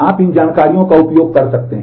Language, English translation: Hindi, You can use these information